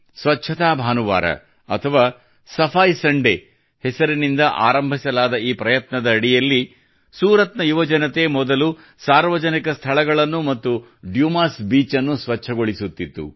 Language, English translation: Kannada, Under this effort, which commenced as 'Safai Sunday', the youth of Suratearlier used to clean public places and the Dumas Beach